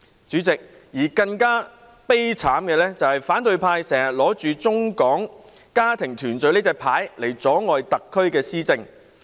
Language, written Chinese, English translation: Cantonese, 主席，更悲慘的是，反對派經常打着"中港家庭團聚"的牌子，阻礙特區的施政。, President what is more tragic is that the opposition often plays the Mainland - Hong Kong family reunion card to hamper the administration of the SAR